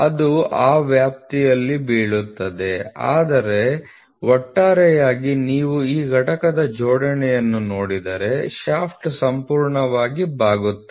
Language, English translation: Kannada, 1 millimeter it will fall in that range, but overall if you see the alignment of this component the shaft is completely bend